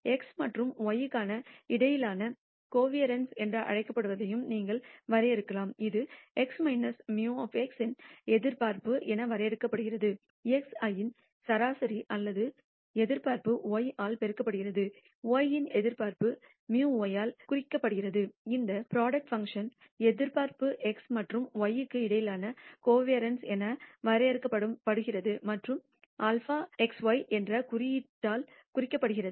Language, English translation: Tamil, You can also define what is called the covariance between x and y and this is defined as the expectation of x minus mu x mu being the mean or expectation of x I multiplied by y minus expectation of y which is denoted by mu y this product is the expectation of this product function is defined as the covariance between x and y and denoted by the symbol sigma x y